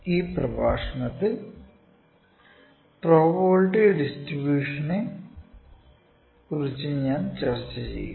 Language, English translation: Malayalam, In this lecture I will discuss about probability distributions